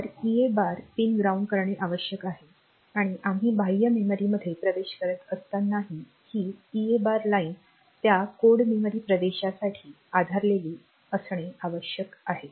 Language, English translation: Marathi, So, EA bar pin should be grounded and for that code memory access also since we are doing external memory access this EA bar line should be grounded